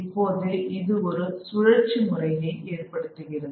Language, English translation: Tamil, Now this puts into place a cyclical process